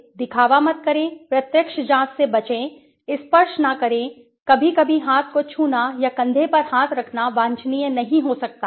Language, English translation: Hindi, Do not pretend, avoid direct enquiry, do not touch, sometimes touching the arm or placing the hand on the shoulder might not be desirable right